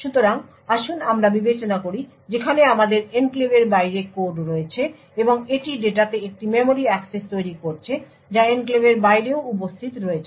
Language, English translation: Bengali, So, let us consider the case where we have code present outside the enclave, and it is making a memory access to data which is also present outside the enclave